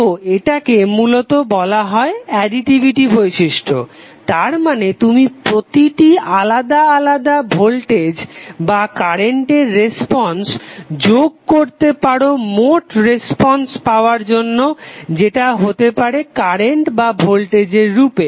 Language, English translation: Bengali, So this is basically called as a additivity property means you can add the responses of the individual voltage or current sources and get the final response that may be in the form of current or voltage